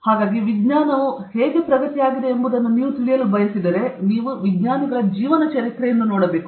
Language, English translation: Kannada, So, if you want to know how science has progressed, you have to look at the biographies of scientists